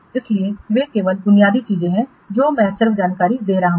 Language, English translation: Hindi, So, these are only basic things I am just giving the information